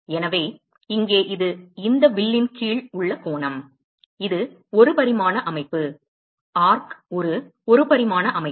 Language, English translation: Tamil, So, here it is the angle subtended by this arc, which is 1 dimensional system, arc is a 1 dimensional system